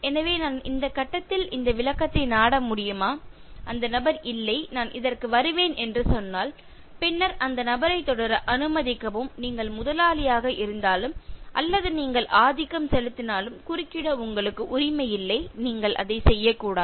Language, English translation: Tamil, So can I seek this clarification at this stage, if the person says no, I will come back to this, then allow the person to continue, you have no right to interrupt even if you are the boss or even if you are at a dominating position you should not do it